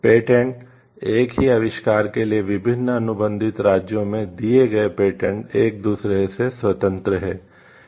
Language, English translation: Hindi, Patents; patents granted in different contracting states for the same invention are independent of each other